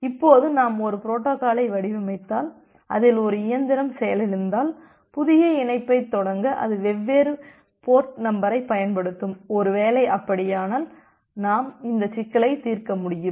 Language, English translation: Tamil, Now if we design a protocol where if a machine get crashed, it will use different port number for initiating a new connection, if that is the case, then probably we will be able to solve this problem